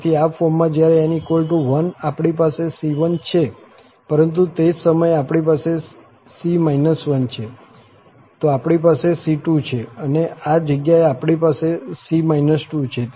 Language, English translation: Gujarati, So, in this form, when n is 1, we have c1, but at the same time, we have here c minus 1, then we have c2, then is this place, we have c minus 2